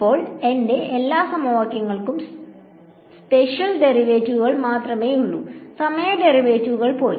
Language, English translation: Malayalam, Then all my equations have only spatial derivatives, the time derivatives have gone